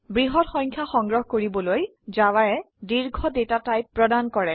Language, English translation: Assamese, To store large numbers, Java provides the long data type